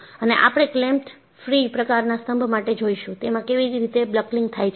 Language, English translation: Gujarati, And, we will see for a clamped free type of column, how the buckling occurs